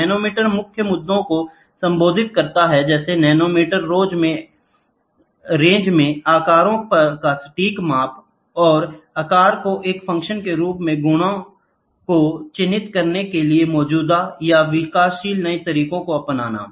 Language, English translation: Hindi, The nanometer addresses to main issues, precise measurement of sizes in nanometer range, and adapting existing or developing new methods to characterize properties as a function of size